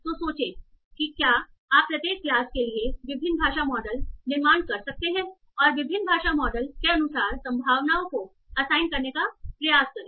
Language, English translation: Hindi, So think as if you can construct different language models for each of the classes and try to assign probabilities as for different language models